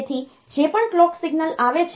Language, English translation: Gujarati, So, whatever clock signal is coming in